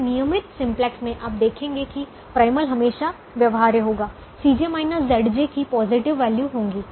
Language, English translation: Hindi, in a regular simplex you will realize that the primal would always be feasible